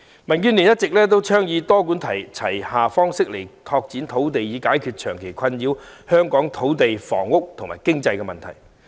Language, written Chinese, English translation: Cantonese, 民主建港協進聯盟一直倡議以多管齊下的方式拓展土地，以解決長期困擾香港的土地、房屋和經濟問題。, The Democratic Alliance for the Betterment and Progress of Hong Kong DAB has been advocating a multi - pronged land development approach to address the land housing and economic problems that have been plaguing Hong Kong for a long time